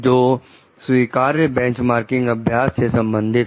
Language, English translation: Hindi, So, which are regarding which are acceptable benchmarking practices